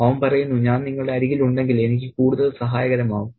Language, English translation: Malayalam, He says, if I'm by your side I'll be more helpful aya, he said